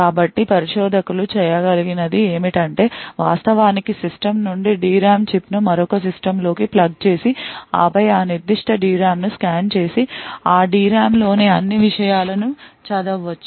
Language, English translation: Telugu, So, what researchers have been able to do is to actually pick a D RAM chip from a system plug it into another system and then scan that particular D RAM and read all the contents of that D RAM